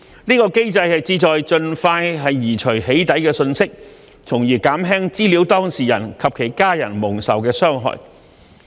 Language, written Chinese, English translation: Cantonese, 這個機制旨在盡快移除"起底"信息，從而減輕資料當事人及其家人蒙受的傷害。, This mechanism aims at expeditiously removing doxxing messages in order to reduce the harm caused to the data subjects and their family members